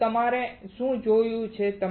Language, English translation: Gujarati, So, what we have seen